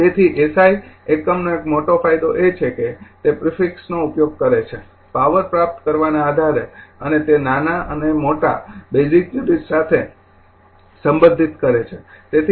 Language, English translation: Gujarati, So, one major advantage of the SI unit is that, it uses prefix says based on the power obtain and to relates smaller and larger units to the basic units